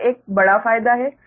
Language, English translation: Hindi, this is a major advantage, right